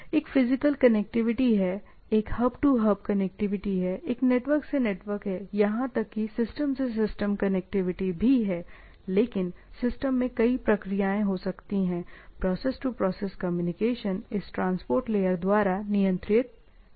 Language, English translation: Hindi, So, one is physical connectivity, one is hub to hub connectivity, one is network to network, even to system to system connectivity, but there can be multiple process in the system, process to process communication is handled by this transport layer type of things, right